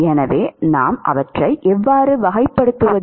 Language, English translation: Tamil, So, how do we characterize them